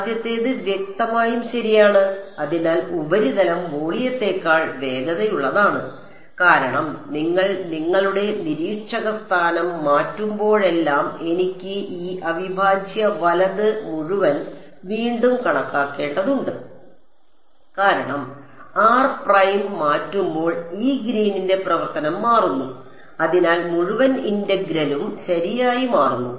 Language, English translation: Malayalam, The first one obviously right; so surface is faster than volume, because every time you change your observer location r prime I have to recalculate this whole integral right because when r prime changes this Green’s function changes therefore, the whole integral also changes right